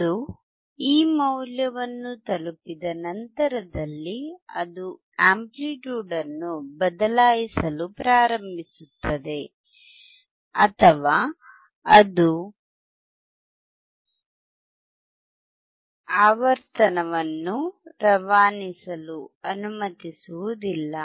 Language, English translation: Kannada, Once it reaches this value and above it will start changing the amplitude or it will not allow the frequency to pass